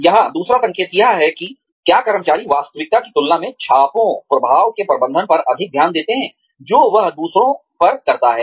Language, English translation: Hindi, The second sign here is, does the employee devote more attention to managing the impressions, she or he makes on others, than to reality